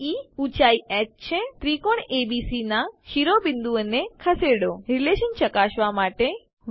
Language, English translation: Gujarati, BE is the height h Move the vertices of the Triangle ABC To verify the relation